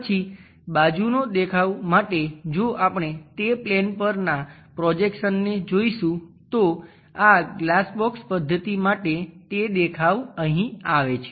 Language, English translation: Gujarati, Then side view if we are going to look at it the projections onto that plane we have to get for this glass box method then that view comes at this level